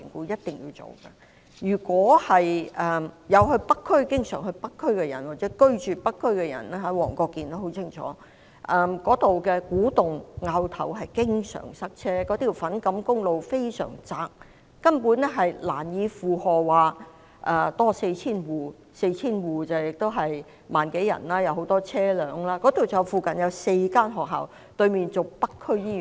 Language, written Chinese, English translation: Cantonese, 經常往北區或者住在北區的市民，例如黃國健議員，便很清楚，古洞和凹頭經常塞車，粉錦公路非常狹窄，根本難以負荷多 4,000 戶所需的很多車輛，況且附近有4所學校，對面是北區醫院。, As members of the public who often visit or live in North District for example Mr WONG Kwok - kin know full well the frequent congestion at Ku Tung and Au Tau and narrowness of Fan Kam Road makes it difficult to accommodate the numerous vehicles needed by 4 000 additional households not to mention that there are four schools in the vicinity with North District Hospital on the opposite side